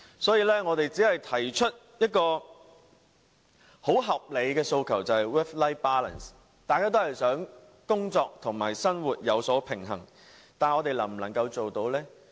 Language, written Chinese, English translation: Cantonese, 所以，我們只提出一項很合理的訴求，便是 "work-life balance"， 大家也想工作與生活平衡，但我們能否做到呢？, Therefore we have put forward only a most reasonable demand that is work - life balance . We all want work - life balance but are we able to achieve it?